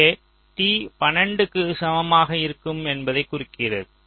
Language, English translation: Tamil, so here this point refers to t equal to twelve